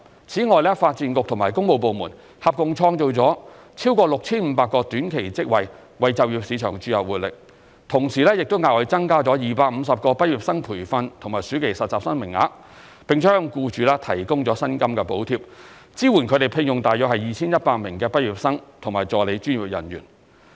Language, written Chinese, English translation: Cantonese, 此外，發展局和工務部門合共創造了超過 6,500 個短期職位，為就業市場注入活力，同時亦額外增加250個畢業生培訓和暑期實習生名額，並向僱主提供薪金補貼，支援他們聘用約 2,100 名畢業生和助理專業人員。, In addition the Development Bureau and works departments have jointly created more than 6 500 time - limited jobs to give impetus to the labour market . Also we have increased the quotas for graduate trainees and summer interns by 250 and provided subsidies for employers to employ about 2 100 graduates and assistant professionals